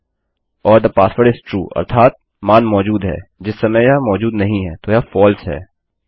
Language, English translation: Hindi, or the password is true that is, the value exists at the moment it doesnt, so it is false